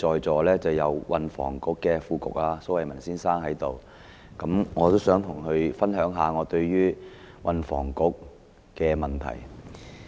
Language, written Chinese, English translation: Cantonese, 我看到運輸及房屋局副局長蘇偉文先生在席，我想與他分享一下我對運輸及房屋局的意見。, Noticing that Under Secretary for Transport and Housing Raymond SO is present I would like to share with him my views on the Transport and Housing Bureau